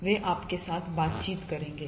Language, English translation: Hindi, They will interact heavily with you